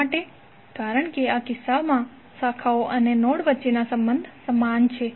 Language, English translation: Gujarati, Why because relationship between branches and node is identical in this case